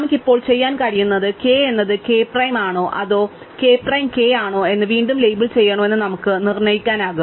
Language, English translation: Malayalam, What we can do now is we can determine whether to re label k as k prime or k prime as k